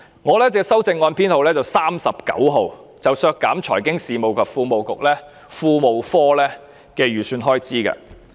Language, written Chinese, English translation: Cantonese, 我提出的修正案編號 39， 是要求削減財經事務及庫務局的預算開支。, My Amendment No . 39 seeks to cut the estimated expenditure on the Financial Services and the Treasury Bureau